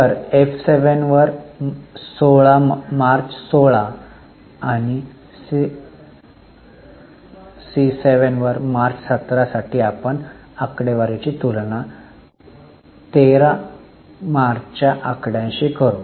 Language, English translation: Marathi, So, March 16, C7 upon F7 and for the March 17 we'll compare the current figure that is March 17 figure with March 13 figure